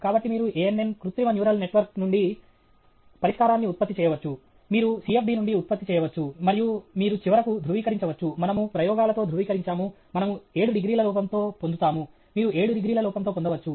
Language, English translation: Telugu, So, you can generate the solution from ANN artificial neural network; you can generate from CFD, and you can, finally, confirm, we confirmed with the experiments, we get within an error of 7 degrees; you get within an error of 7 degrees